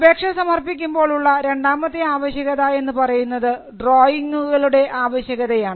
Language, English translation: Malayalam, Now, the second requirement while filing an application is the requirement of drawings